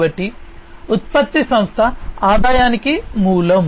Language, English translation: Telugu, So, the product is the origin of company earnings